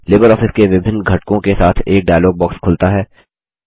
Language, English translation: Hindi, A dialog box opens up with various LibreOffice components